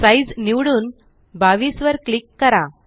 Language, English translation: Marathi, Select Size and click 22